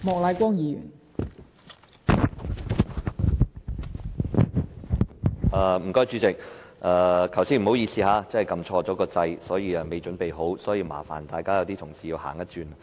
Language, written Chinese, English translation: Cantonese, 代理主席，剛才不好意思，按錯"發言按鈕"，我尚未準備好，所以麻煩了同事要多走一趟。, Deputy Chairman I am sorry that I pressed the Request - to - speak button by mistake just now . I was not yet ready to speak at that time so I am sorry for the trouble